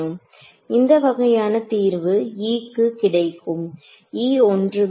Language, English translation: Tamil, So, what is the solution what is the kind of solution that I get E is E naught